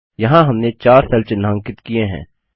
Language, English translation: Hindi, Here we have highlighted 4 cells